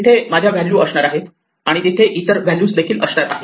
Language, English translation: Marathi, There will be my values and there will be other values